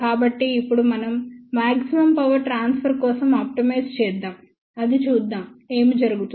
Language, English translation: Telugu, So, now let us see if we optimize for the maximum power transfer, what happens